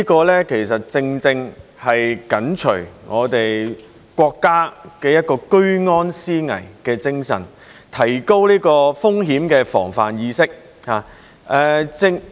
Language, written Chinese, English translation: Cantonese, 這其實正正是緊隨我們國家居安思危的精神，提高風險的防範意識。, In fact this exactly aligns with our Countrys spirit of being vigilant in peace time and raising the awareness of risk prevention